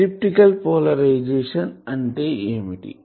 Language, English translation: Telugu, And what is elliptical polarisation